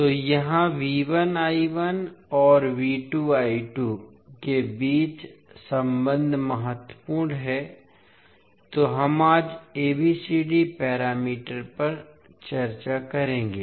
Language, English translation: Hindi, So here the relationship between V 1 I 1 and V 2 I 2 is important so we will discuss the ABCD parameters today